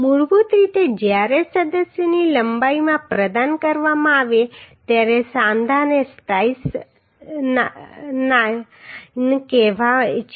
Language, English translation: Gujarati, Basically a joint when provided in the length of member is called splice